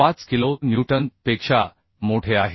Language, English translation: Marathi, 6 kilo newton and this is greater than 202